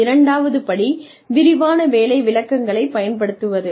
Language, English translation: Tamil, The second step is to, use detailed job descriptions